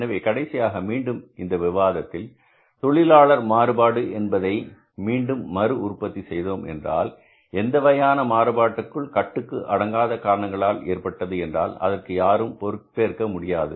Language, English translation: Tamil, So, if finally again before closing down the discussion on the labor variances, I would reiterate that if there is any kind of the variance because of the uncontrollable factors, nobody should be held responsible